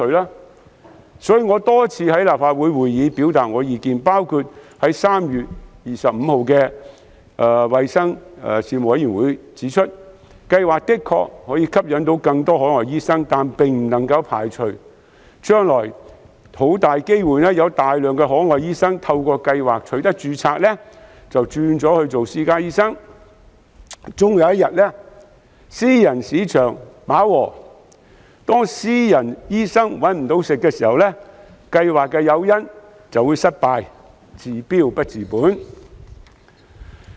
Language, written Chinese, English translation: Cantonese, 因此，我曾多次在立法會的會議上表達意見，包括在3月25日的衞生事務委員會會議上指出，計劃的確可以吸引更多海外醫生，但不能排除將來很大機會有大量海外醫生透過計劃註冊後，隨即轉做私家醫生；終有一日，當私人市場飽和，私家醫生"搵唔到食"，計劃的誘因便會失效，令計劃"治標不治本"。, Therefore I expressed my views at various meetings in the Legislative Council including the meeting of the Panel on Health Services on 25 March that while the proposed scheme could attract more overseas doctors to work in Hong Kong there was a high chance that many of them would switch to private practice soon after they got registered under the scheme . Eventually the private market would become saturated making it hard for private doctors to make money . In that case the incentive provided under the scheme would lose its effectiveness making the scheme a mere palliative failing to solve the problem at root